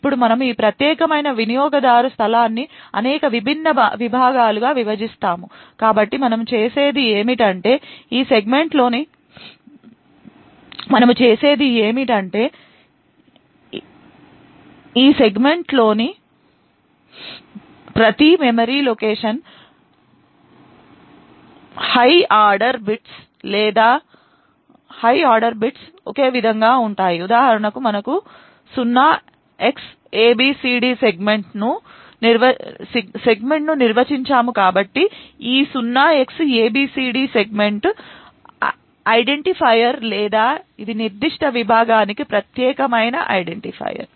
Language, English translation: Telugu, Now we would divide this particular user space into several different segments so what we do is align the segments in such a way that the higher order bits within each memory location within this segment are the same for example we define a segment 0xabcd so this 0Xabcd is the segment identifier or this is the unique identifier for that particular segment